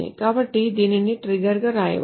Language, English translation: Telugu, So that can be written as a trigger